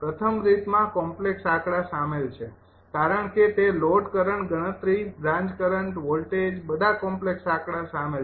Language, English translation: Gujarati, first method, we need complex numbers are involved because ah, that load, current computation, branch, current voltage, all complex number are involve